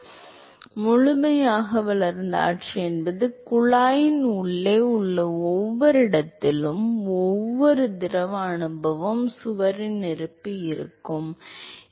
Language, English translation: Tamil, So, fully developed regime is a location where every location in the every location inside the tube the fluid experience is the presence of the wall